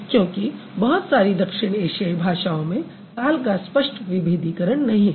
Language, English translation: Hindi, Because a lot of South Asian languages, they don't have clear distinction of the tense marking